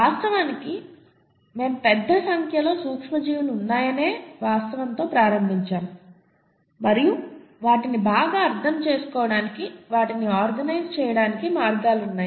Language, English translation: Telugu, And of course we started out with the fact that there are a large number of microorganisms and there are ways to organise them to make better sense of them, right